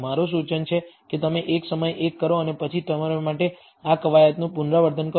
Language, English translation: Gujarati, My suggestion is you do one at a time and then repeat this exercise for yourself